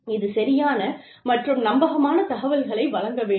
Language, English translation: Tamil, It should provide information, that is valid and credible